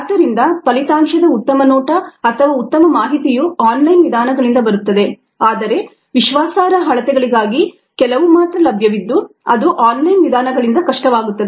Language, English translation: Kannada, so the best view or the best information comes from online methods, but few are available for reliable measurements